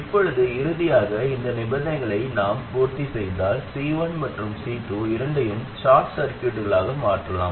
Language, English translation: Tamil, Now finally, if we satisfy these conditions, then we can replace both C1 and C2 by short circuits